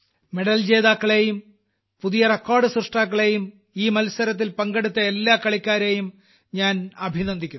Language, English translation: Malayalam, I congratulate all the players, who won medals, made new records, participated in this sports competition